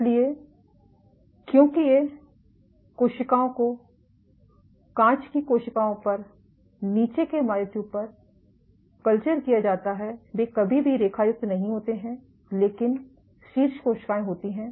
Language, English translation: Hindi, So, because these cells are cultured the bottom myotubes on glass cells never striate, but the top cells straight